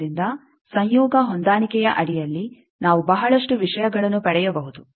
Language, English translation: Kannada, So, under conjugate match we can get lot of things